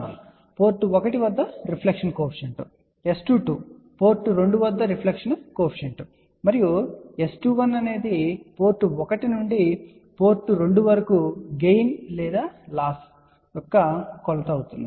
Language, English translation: Telugu, S 11 is reflection coefficient at port 1, S 22 is reflection coefficient at port 2 and S 21 is a measure of gain or loss from port 1 to port 2